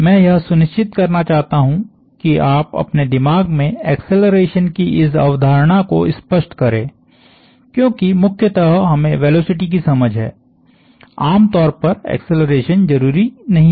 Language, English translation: Hindi, I want to make sure that you get this concept of acceleration clear in our mind, primarily because we have an understanding of velocity very usually not necessarily acceleration